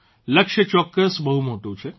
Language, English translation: Gujarati, The goal is certainly a lofty one